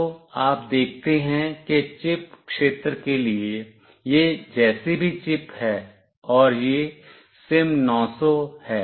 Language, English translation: Hindi, So, you see that whatever is the chip this is for the chip area, and this is the SIM900